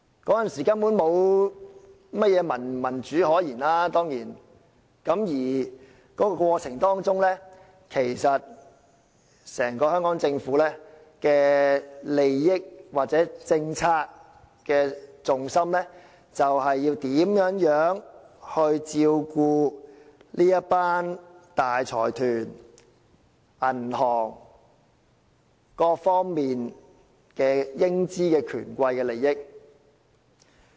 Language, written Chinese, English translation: Cantonese, 當然，那時根本沒有甚麼民主可言，在這過程中，整個香港政府的政策重心其實是要如何照顧這一群大財團、銀行、各方面的英資權貴的利益。, Certainly there was no democracy whatsoever to speak of at the time and in the process all the policies of the Hong Kong Government actually focused on how to look after the interests of a group of major consortiums banks as well as British tycoons on various fronts